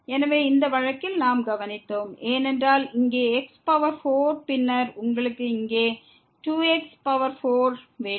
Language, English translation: Tamil, So, in this case what we observed because here power 4 and then, you have 2 power 4 here